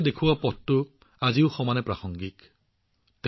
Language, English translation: Assamese, The path shown by Kabirdas ji is equally relevant even today